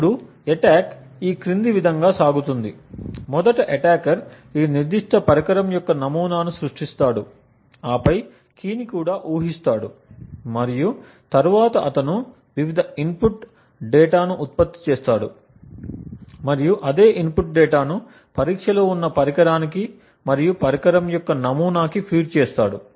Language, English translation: Telugu, Now the attack goes as follows, first the attacker creates a model of this particular device and then also guesses the key and then he generates various input data and feeds the same input data to the device which is under test as well as to the model of that device